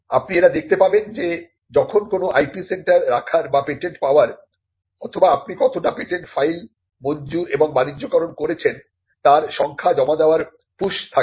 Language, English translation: Bengali, So, you will find that when there is a push to have an IP centre or to have patents or to have to submit the number of patents you have filed, granted and commercialized